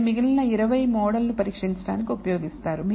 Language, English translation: Telugu, And the remaining 20 are used to test the model